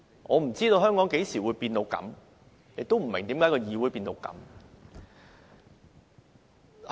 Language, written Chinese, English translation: Cantonese, 我不知道香港何時變成這樣，亦不明為何議會變成這樣。, I wonder when Hong Kong has become like this and I do not understand why the legislature has become like this